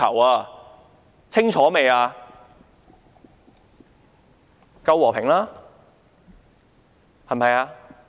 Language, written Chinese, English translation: Cantonese, 還不夠和平嗎？, Is it not peaceful enough?